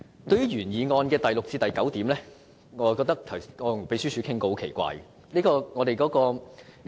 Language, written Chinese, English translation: Cantonese, 對於原議案第六至九點，我曾與秘書處討論，其內容是很奇怪的。, As to items 6 to 9 of the original motion I have discussed them with the Secretariat and found them most strange